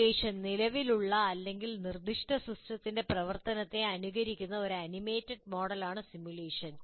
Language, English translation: Malayalam, A simulation is an animated model that mimics the operation of an existing or proposed system